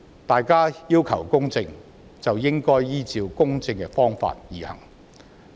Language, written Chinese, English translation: Cantonese, 大家要求公正，便應該依照公正的方法行事。, If we ask for justice then we should act in accordance with justice